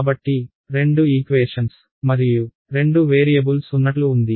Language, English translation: Telugu, So, it is like there are two equations and two variables right